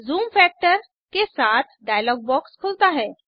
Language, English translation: Hindi, A dialog box with zoom factor (%) opens